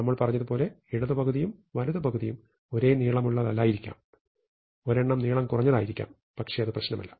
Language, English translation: Malayalam, So, it might be that left half and the right half are not of same length; one will be longer, one will be shorter